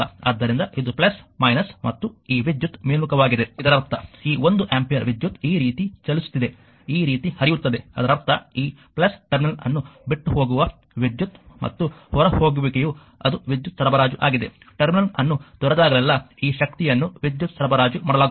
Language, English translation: Kannada, So, this is plus minus and this current is upward means current is your what you call this one ampere current is moving like this, flowing like this; that means, current actually leaving this terminal the plus plus terminal as well as a leaving means it is power supplied right whenever current leaving the plus terminal this power it is power supplied